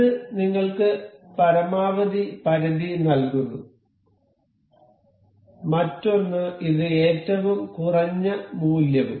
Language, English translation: Malayalam, And it gives us a maximum limit and its another this is minimum value